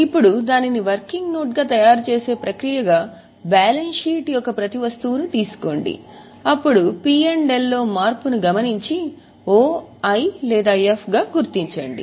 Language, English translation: Telugu, Now as a process of preparing it as a working node, what I had asked you to do was take every item of balance sheet then P&L, mark the change and mark it as O, I or F